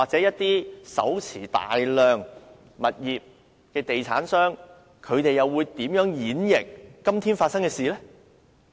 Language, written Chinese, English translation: Cantonese, 一些手持大量物業的地產商，又會如何解讀這次事件？, How will some property developers who hold a large number of properties interpret this incident?